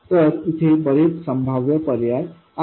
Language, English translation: Marathi, So, there are many possible alternatives